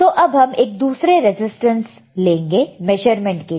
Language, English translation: Hindi, So now let us go to another resistance, right another resistor